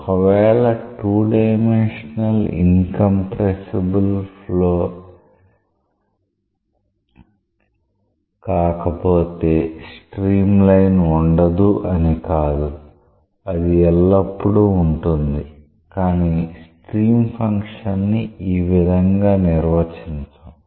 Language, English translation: Telugu, It does not mean that the streamline is not there if it is not a 2 dimensional incompressible flow it is very much there, but the stream function is not defined in this way